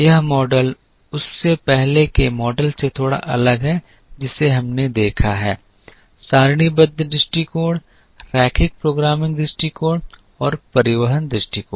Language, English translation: Hindi, This model is slightly different from that the earlier models that we have seen the tabular approach, the linear programming approach and the transportation approach